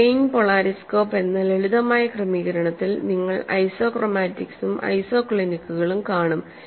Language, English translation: Malayalam, So, in a simple arrangement called a plane polariscope, you will see isochromatics as well as isoclinic